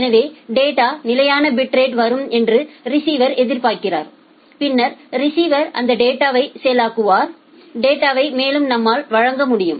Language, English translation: Tamil, So, the receiver expects that the data will be coming at a constant bit rate and then the receiver will process that data and we will be able to render the data further